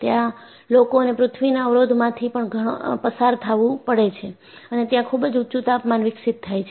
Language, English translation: Gujarati, So, they have to pass through the barrier to earth and very high temperatures are developed